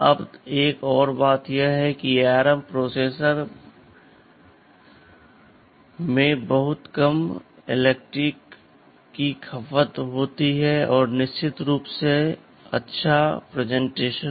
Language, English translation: Hindi, Now another thing is that this ARM processors they have very low power consumption and of course, reasonably good performance